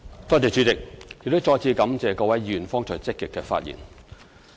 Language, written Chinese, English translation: Cantonese, 主席，我再次感謝各位議員剛才積極發言。, President I thank Members again for actively speaking on the subject